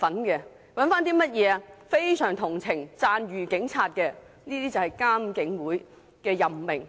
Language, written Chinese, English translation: Cantonese, 一些非常同情並讚譽警察的人士，這就是監警會的任命方式。, People who very much sympathize with and sing praises of the Police . This is how the appointments of IPCC are made